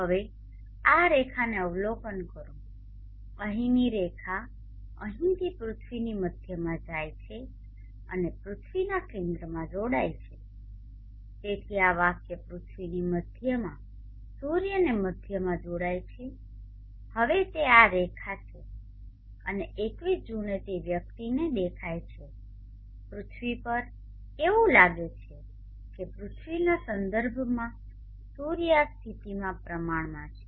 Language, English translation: Gujarati, Now absorb this line the line here going along and join to the center of the earth so the line join the center of the earth to the center of the sun, now that is this line and on 21st June it appears to a person on the earth it appears the sun is relatively in this position like this with respect to the earth